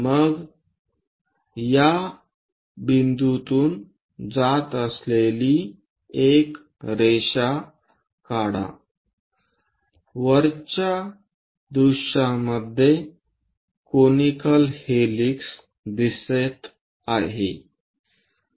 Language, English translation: Marathi, Then draw line passing through these points this is the way from top view the conical helix looks like